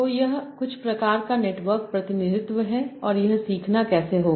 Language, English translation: Hindi, So this is some sort of network representation and how this learning will take place